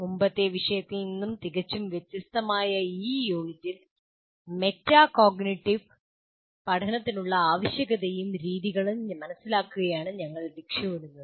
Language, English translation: Malayalam, Now in this unit, which is very completely different from the previous topic, we aim at understanding the need for and methods of instruction for metacognitive learning